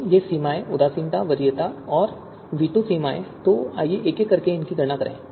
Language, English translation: Hindi, Then these you know thresholds, indifference, preference, and veto thresholds, so let us compute them one by one